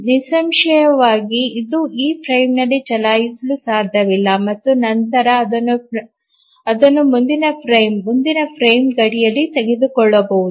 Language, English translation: Kannada, Obviously it cannot run on this frame and then it can only be taken up in the next frame, next frame boundary